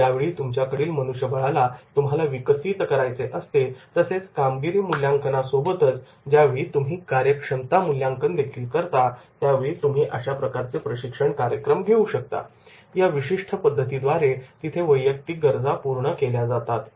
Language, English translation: Marathi, When you want to develop your main power and when you have the in addition to the performance appraisal, when you are having the potential appraisal, then definitely you will be able to conduct those type of the training programs and through these particular methods where the individual needs are to be specified